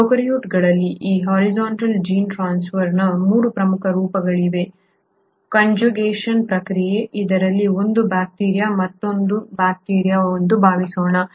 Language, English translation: Kannada, There are 3 major forms of this horizontal gene transfer in prokaryotes; the process of conjugation, wherein let us assume this is one bacteria and this is another bacteria